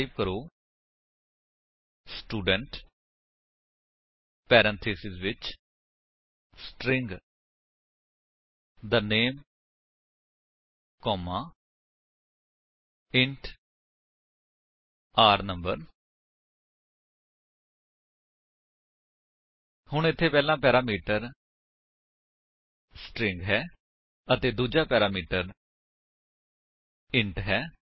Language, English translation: Punjabi, So, type: Student within parentheses String the name comma int r no So, over here first parameter is string and the second parameter is int